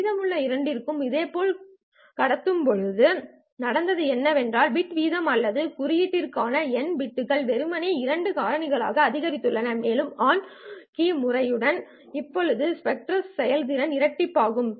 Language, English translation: Tamil, So what has happened now is the bit rate or the number of bits per symbol has simply gone up by a factor of 2 and the spectral efficiency doubles up compared to the on off keying system